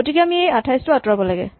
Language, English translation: Assamese, So, we need to remove this 28